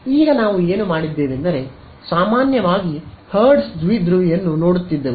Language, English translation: Kannada, So, now let us what I have done was we looked at the hertz dipole in general